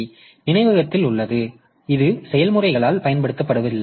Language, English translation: Tamil, So, it is there in the memory but it is not being used by the process by the processes